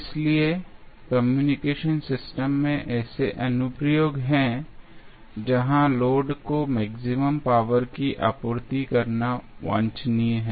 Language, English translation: Hindi, So, there are such applications such as those in communication system, where it is desirable to supply maximum power to the load